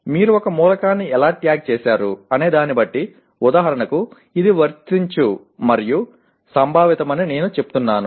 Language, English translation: Telugu, Depending on how you tagged an element, for example I say it is Apply and Conceptual